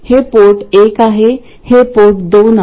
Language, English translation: Marathi, This is port 1 and this is port 2